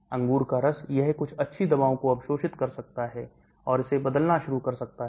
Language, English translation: Hindi, grapefruit juice it can absorb some drugs and started transforming it